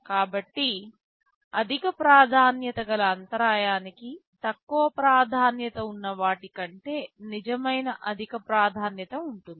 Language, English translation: Telugu, So, higher priority interrupt will be having real higher priority over the lower priority ones